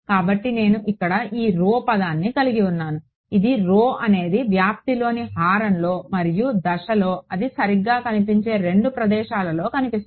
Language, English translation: Telugu, So, I have this rho term over here this is rho is appearing in the denominator in the amplitude and in the phase the 2 places where it is appearing right